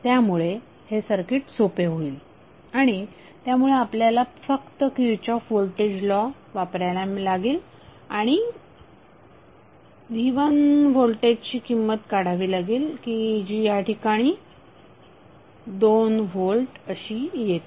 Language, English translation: Marathi, So this will be a simpler circuit so you have to just apply kirchhoff's voltage law and find out the value of voltage V1 which comes outs to be 2 volt in this case